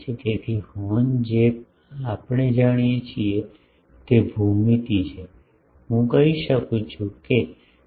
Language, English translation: Gujarati, So, horn we know from it is geometry I can tell what is the gain